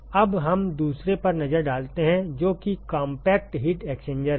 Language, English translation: Hindi, So, now let us look at the second one, which is the compact heat exchanger